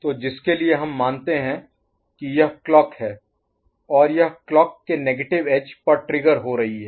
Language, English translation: Hindi, So for which we consider that this is the clock and it is getting triggered at negative edge of the clock